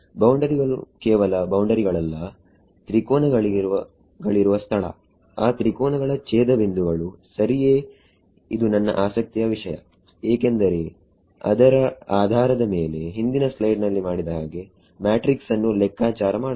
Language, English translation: Kannada, Boundaries not just boundaries the location of the triangles, the nodes of those triangles right that is of interest to me because based on that like we did in the previous slide I can calculate the matrix